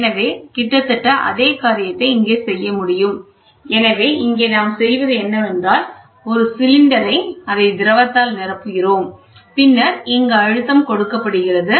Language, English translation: Tamil, So, almost the same thing can be done here so, what we do here is, we take a cylinder fill it up with liquid and then we have pressure which is applied here